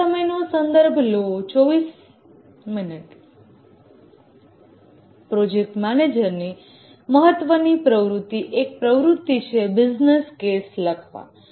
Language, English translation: Gujarati, One of the important activity of the project manager is right to write the business case